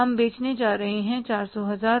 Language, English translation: Hindi, We are going to sell that is a 400,000